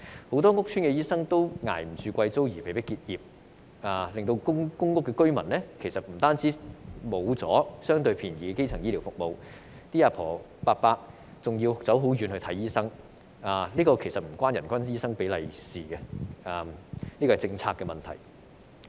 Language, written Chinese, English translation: Cantonese, 很多屋邨醫生負擔不起昂貴租金而被迫結業，令公屋居民失去了相對便宜的基層醫療服務，長者要到較遠的地方看醫生，這方面與人均醫生比例無關，是政策的問題。, Many doctors practising in public housing estates could not afford the high rents and were forced to close down their business . Public housing tenants are therefore deprived of the relatively inexpensive primary healthcare service and the elderly have to travel further for doctor consultation . This has nothing to do with the doctor to population ratio